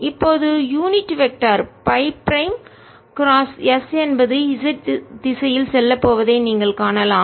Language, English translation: Tamil, and now you can see that unit vector, phi prime cross s is going to be in the z direction, going into